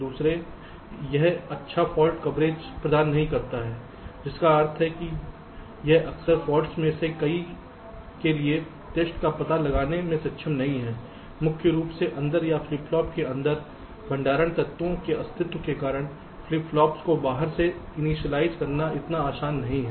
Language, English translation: Hindi, secondly, it does not provide good fault coverage, meaning it is often not able to detect tests for many of the faults, primarily because of the existence of the storage elements inside or the flip flops inside